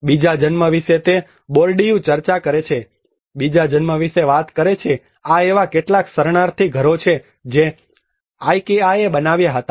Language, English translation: Gujarati, He reflects about second birth Bourdieu talks about second birth these are some of the refugee homes which were created by the Ikea